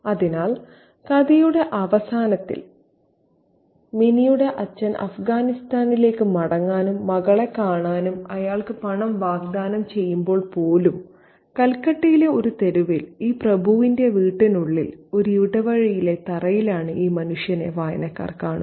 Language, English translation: Malayalam, So even at the end of the story when Minnie's father offers him money and so that he can travel back to Afghanistan and meet his little girl, this man is seen by the readers within the home of this aristocrat on his floor in an alley in a street in Kolkata